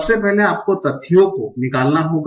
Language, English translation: Hindi, So firstly you have to extract the facts